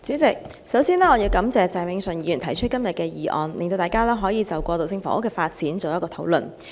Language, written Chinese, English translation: Cantonese, 主席，首先，我要感謝鄭泳舜議員提出今天的議案，讓大家可就過渡性房屋的發展作討論。, President first of all I wish to thank Mr Vincent CHENG for moving this motion today so that we can have a discussion on the development of transitional housing